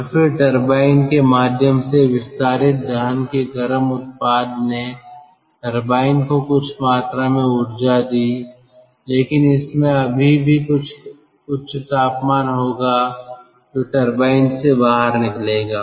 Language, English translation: Hindi, and then the hot product of combustion which expanded through the turbine, given some amount of energy to the turbine, but it will still have some high temperature that will come out of the turbine